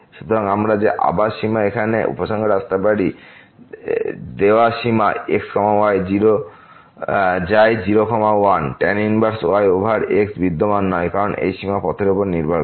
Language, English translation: Bengali, So, what we can conclude that again the limit the given limit here goes to inverse over does not exist because this limit depends on the path